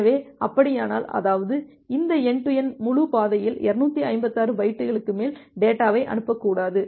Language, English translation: Tamil, So, if that is the case; that means, ideally you should not send data more than 256 byte in this entire end to end path